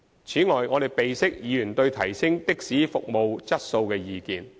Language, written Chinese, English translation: Cantonese, 此外，我們備悉議員對提升的士服務質素的意見。, Besides we note Members opinions on enhancing taxi service quality